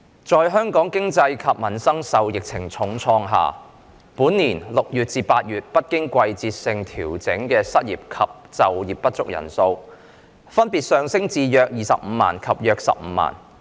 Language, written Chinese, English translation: Cantonese, 在香港經濟及民生受疫情重創下，本年6月至8月不經季節性調整失業及就業不足人數，分別上升至約25萬及約15萬。, With Hong Kongs economy and peoples livelihood being hard hit by the epidemic the non - seasonally adjusted numbers of unemployed and underemployed persons in June to August this year have risen to around 250 000 and around 150 000 respectively